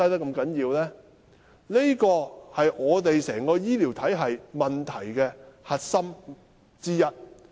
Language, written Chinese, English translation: Cantonese, 這是香港整個醫療體系的核心問題之一。, This is one of the core issues of the health care system in Hong Kong